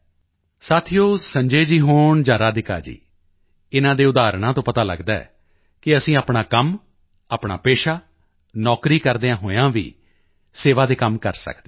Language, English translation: Punjabi, Friends, whether it is Sanjay ji or Radhika ji, their examples demonstrate that we can render service while doing our routine work, our business or job